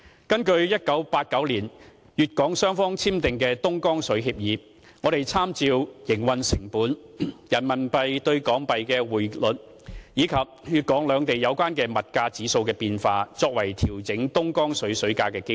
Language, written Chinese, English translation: Cantonese, 根據1989年粵港雙方簽訂的東江水協議，我們參照營運成本、人民幣兌港幣的匯率，以及粵港兩地有關的物價指數的變化，作為調整東江水價的基礎。, In accordance with the 1989 Dongjiang water supply agreement between Hong Kong and Guangdong we take operation costs the exchange rate of renminbi to Hong Kong dollars and changes in the relevant consumer price indexes in both places as the basis for adjusting Dongjiang water prices